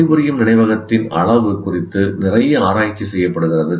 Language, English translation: Tamil, There is a lot of research done what is the size of the working memory